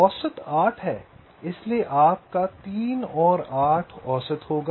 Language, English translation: Hindi, so your three, eight will be average